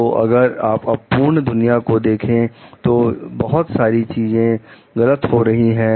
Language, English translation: Hindi, So, if you seen an imperfect world, so many things may go wrong